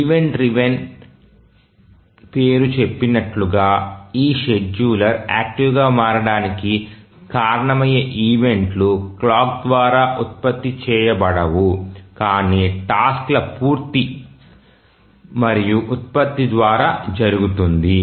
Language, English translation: Telugu, As the name says event driven, the events that are that cause this scheduler to become active are not generated by the clock but by the completion and generation of tasks